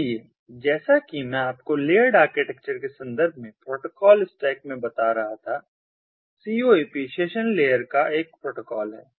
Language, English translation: Hindi, so, as i was telling you in the protocol stack, in the, in terms of the layered architecture, coap is a protocol of the session layer